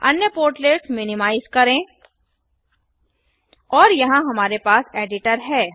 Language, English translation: Hindi, Let us minimise the other portlets and here we have the editor